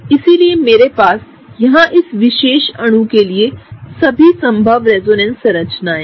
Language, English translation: Hindi, So, what I have here is these are all the possible resonance structures for this particular molecule